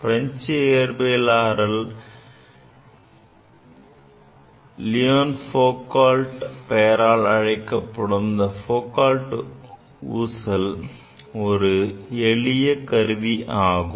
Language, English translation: Tamil, Foucault pendulum is a simple device named after the French physicist Leon Foucault